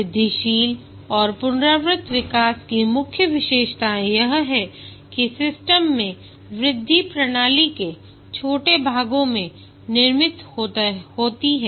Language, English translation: Hindi, The key characteristics of the incremental and iterative development is that build the system incrementally, small parts of the system are built